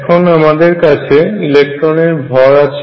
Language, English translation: Bengali, So, I have the mass of electron